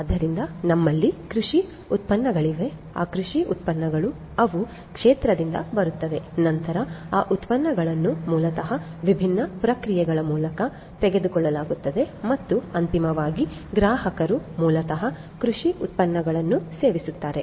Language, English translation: Kannada, So, we have agricultural produce, those agricultural produce get they come from the field then those produces are basically taken through different processes and finally, you know the consumers basically consume the agricultural produce